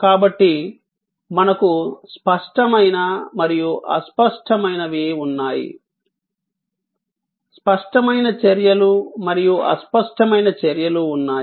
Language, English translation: Telugu, So, we have tangible and intangible, tangible actions and intangible actions